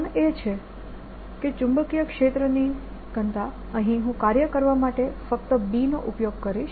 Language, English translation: Gujarati, the reason is that establishing a magnetic field, a magnetic field i'll just use b for it requires us to do work